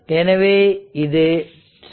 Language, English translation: Tamil, So, it is 7